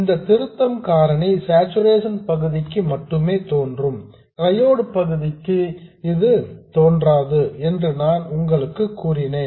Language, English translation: Tamil, I told you that this correction factor appears only for the saturation region and not for the triode region